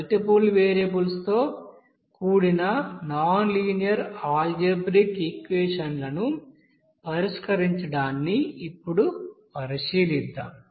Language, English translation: Telugu, Now let us now consider the solving a set of nonlinear algebraic equations involving multiple variables